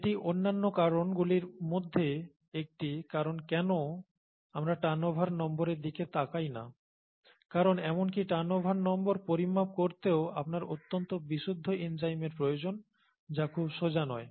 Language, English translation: Bengali, And this is one of the reasons why we don’t look at turnover number because you need highly pure enzymes to even measure turnover number which itself is not very straightforward